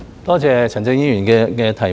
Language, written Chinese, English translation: Cantonese, 多謝陳振英議員的補充質詢。, I thank Mr CHAN Chun - ying for his supplementary question